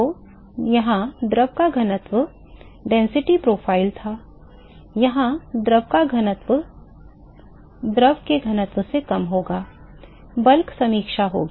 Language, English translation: Hindi, So, this density of the fluid here this was the density profile, density of the fluid here will be lesser than the density of the fluid will be bulk review